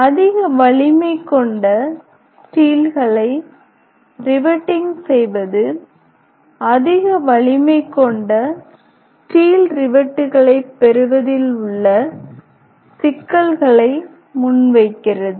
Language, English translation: Tamil, Riveting high strength is still present the problem of acquiring high strength is steel rivets